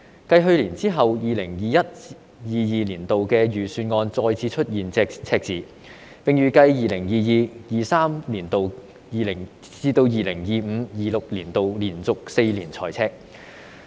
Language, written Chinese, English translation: Cantonese, 繼去年之後 ，2021-2022 年度的財政預算案再次出現赤字，並預計由 2022-2023 年度直至 2025-2026 年度，連續4年財赤。, After last year the 2021 - 2022 Budget the Budget has again recorded a deficit and it is expected in the next four consecutive years from 2022 - 2023 to 2025 - 2026 budget deficits will also be recorded